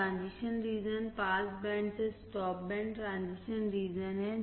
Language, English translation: Hindi, Transition region is from pass band to stop band transition region